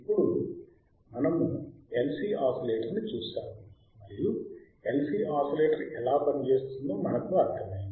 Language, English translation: Telugu, Now we have seen LC oscillator and we understood that how LC oscillator works,